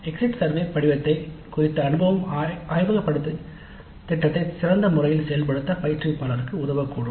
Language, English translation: Tamil, Exposer to the exit survey form upfront may help the instructor in implementing the laboratory course in a better way